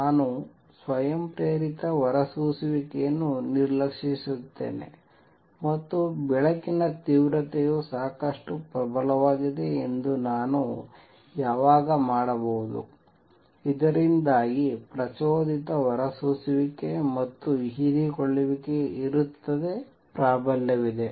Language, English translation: Kannada, I have an ignore spontaneous emission; and when can I do that I am assuming light intensity is strong enough so that stimulated emission and absorption, of course is there, dominate